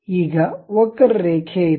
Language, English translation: Kannada, So, we have a curve